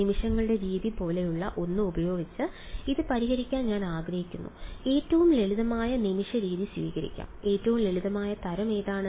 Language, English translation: Malayalam, I want to solve this by something like method of moments and will take the simplest kind of method of moments; what is the simplest kind